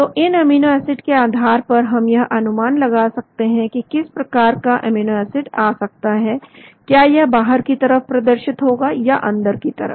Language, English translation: Hindi, So based on their amino acids, we can guess what type of amino acid is going to be, and generally whether it will be pointing outside or inside